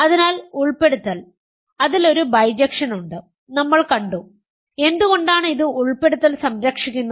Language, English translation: Malayalam, So, inclusion so there is a bijection we have seen and why is it inclusion preserving